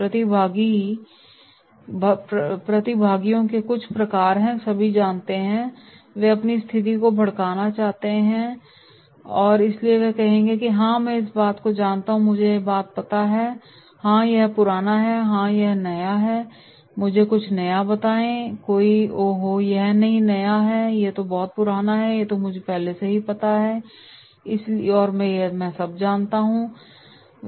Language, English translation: Hindi, Some type of participants are “Know all” that is they want to flaunt their status so they will say “Yeah I know this thing, I know that thing, yeah it is old it is not new, tell me something new, oh no this is not new I know this” so they know all